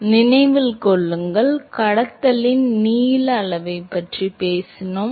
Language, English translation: Tamil, So, remember, we talked about length scale in conduction